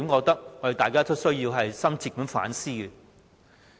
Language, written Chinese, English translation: Cantonese, 大家應深切反思。, We should reflect deeply on this